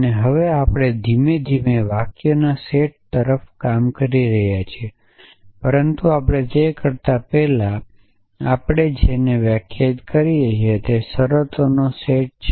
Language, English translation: Gujarati, And now, we are gradually working towards a set of sentence is, but before we do that we need to define what we call is the set of terms